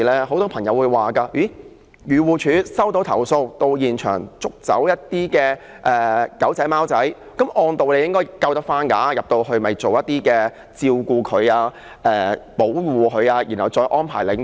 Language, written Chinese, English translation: Cantonese, 很多朋友會說，漁護署接到投訴，到現場捕捉小狗小貓後，按道理應該能夠救回那些動物，並送到動物管理中心照顧及保護，然後再安排領養。, Many people think that upon receipt of a complaint AFCD is supposed to capture and rescue the puppy or kitten and take it back to an Animal Management Centre for protection and care and then for adoption